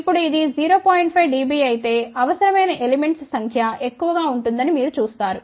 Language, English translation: Telugu, 5 dB you will see that the number of elements required will be more, ok